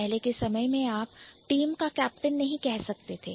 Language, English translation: Hindi, You cannot say the captain of the team